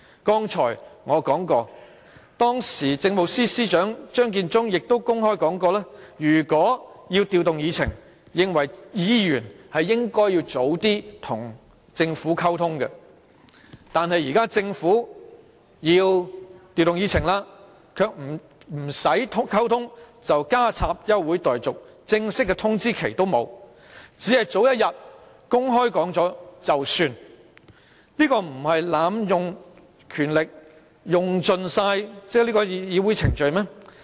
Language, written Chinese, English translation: Cantonese, 剛才我說到當時的政務司司長張建宗亦公開說過，認為如果要調動議程，議員便應該提早與政府溝通；但現時政府要調動議程，卻不用溝通便提出休會待續議案，連正式的通知期也沒有，只是早一天公布了便算，這不是濫用權力、濫盡議會程序嗎？, Just now I mentioned that the then Chief Secretary Matthew CHEUNG said openly that Members should communicate with the Government in advance if they wanted to rearrange the order of agenda items; but now when the Government wants to rearrange the order of agenda items it merely moves an adjournment motion without communicating with Members . It did not even give a formal notification but just made an announcement one day in advance . Is it not abusing powers and abusing Council proceedings?